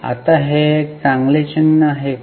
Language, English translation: Marathi, Now, is it a good sign